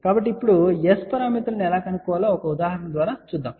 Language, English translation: Telugu, So, now, let just take an example how to find S parameters